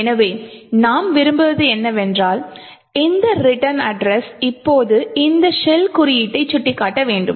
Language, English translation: Tamil, So, what we want is that this return address should now point to this shell code